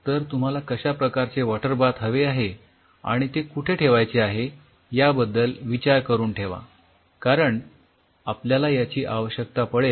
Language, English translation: Marathi, So, think over its what kind of water bath you are going and where you want to place the water bath because you will be needing water bath